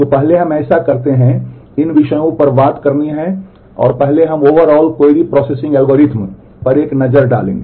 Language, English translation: Hindi, So, first let us so, these are the topics to talk about and first we will take a look at the overall query processing algorithm